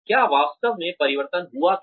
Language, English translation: Hindi, Did the change really occur